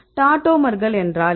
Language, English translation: Tamil, So, what is tautomers